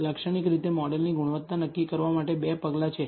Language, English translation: Gujarati, Typically, there are two measures for determining the quality of the model